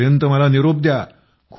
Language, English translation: Marathi, Till then, I take leave of you